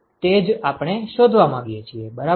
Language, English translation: Gujarati, That is what we want to find ok